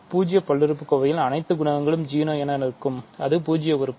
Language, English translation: Tamil, Is the zero polynomial right; so, the zero polynomial has all coefficients 0, that is a zero element